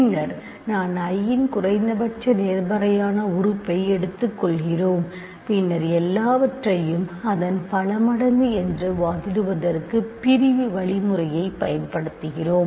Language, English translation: Tamil, And then we simply take the least positive element of I and then we use division algorithm to argue that everything is a multiple of that